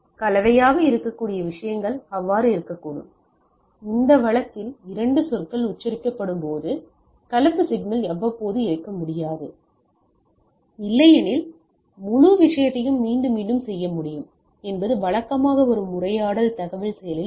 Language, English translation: Tamil, So, those things can be composite can be so, when 2 words are pronounced in this case the composite signal cannot be periodic otherwise, it is repeatability of the whole things will come up usually the conversation is a in information action